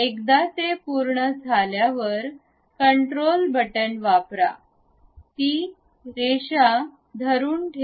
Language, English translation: Marathi, So, once it is done, use control button, hold that line